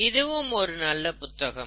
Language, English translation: Tamil, It's also a nice book